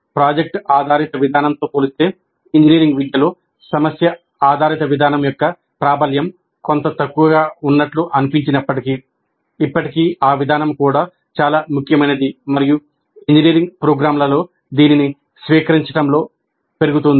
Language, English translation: Telugu, Though the prevalence of problem based approach in engineering education seems to be somewhat less compared to product based approach, still that approach is also very important and it is gaining in its adoption in engineering programs